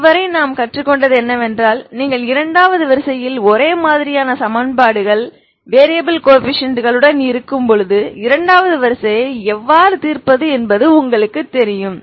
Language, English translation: Tamil, So this is, so far what we have learned is you know how to solve second order when you have a second order homogenous equations with variable coefficients